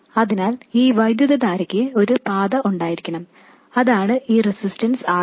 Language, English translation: Malayalam, So there has to be some path for this current and that is this resistance, RD